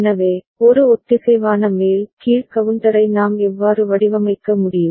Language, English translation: Tamil, So, this is how we can design a synchronous up down counter